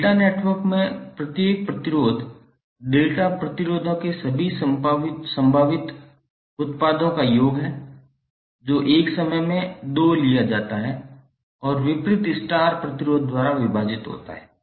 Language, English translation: Hindi, Each resistor in delta network is the sum of all possible products of delta resistors taken 2 at a time and divided by opposite star resistor